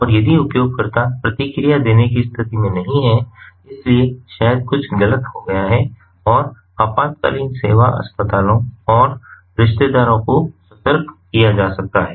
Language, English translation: Hindi, if the user is not in the condition to respond, so maybe something has gone wrong and emergency services, hospitals, relatives can be alerted